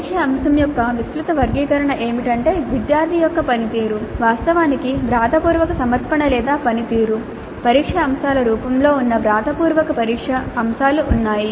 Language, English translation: Telugu, The broad casick classification of the test items would be that there are written test items where the performance of the student is actually in the form of a written submission or performance test items